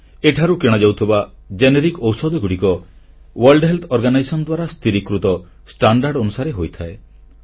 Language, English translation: Odia, Generic medicines sold under this scheme strictly conform to prescribed standards set by the World Health Organisation